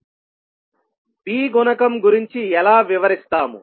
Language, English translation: Telugu, How about B coefficient